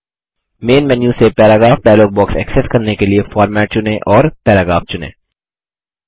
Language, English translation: Hindi, To access the Paragraph dialog box from the Main menu, select Format and select Paragraph